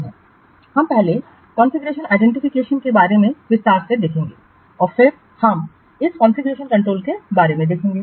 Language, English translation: Hindi, We will first see about configuration in detail and then we will see about this configuration control